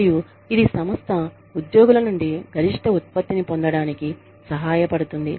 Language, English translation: Telugu, And, that in turn, helps the organization, get the maximum output, from the employees